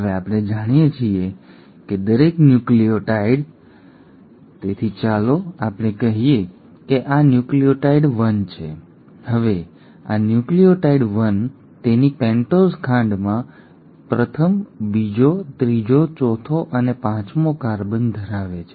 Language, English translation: Gujarati, Now we know that each nucleotide, so let us say this is nucleotide 1; now this nucleotide 1 in its pentose sugar has the first, the second, the third, the fourth and the fifth carbon